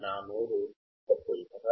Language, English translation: Telugu, is my mouth a filter